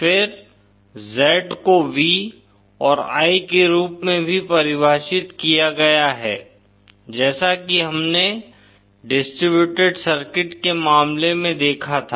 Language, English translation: Hindi, Then Z also is defined as V and I as we saw in the case of distributed circuits